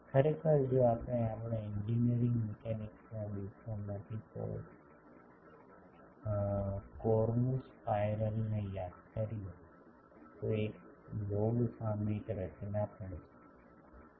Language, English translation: Gujarati, Actually if we remember the cornu spiral from our engineering mechanics days, that is also a log periodic structure